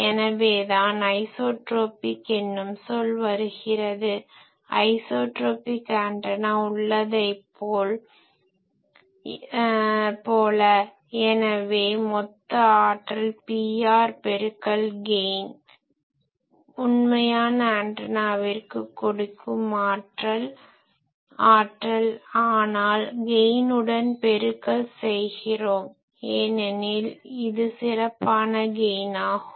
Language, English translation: Tamil, As if that is why this isotropic term comes as if I have an isotropic antenna; so total power given is Pr into G, for a actual antenna the power is given Pr but it is getting multiplied by the gain, because it is a special gain